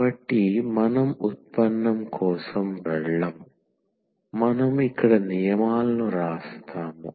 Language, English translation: Telugu, So, we will not go for the derivation, we will just write down the rules here